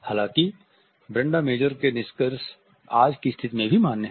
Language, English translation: Hindi, However, the findings of Brenda Major are valid even in today’s situation